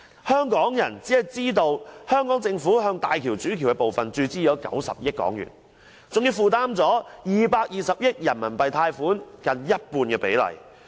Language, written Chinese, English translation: Cantonese, 香港人只知道，香港政府向大橋主橋的部分注資了90億元，還負擔了220億元人民幣貸款近半比例。, Hong Kong people only know that the Hong Kong Government has injected a total of 9 billion yuan to the HZMB Main Bridge and also assumed nearly half of the RMB 22 billion yuan syndicated loan